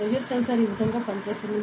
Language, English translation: Telugu, So, this is how a pressure sensor works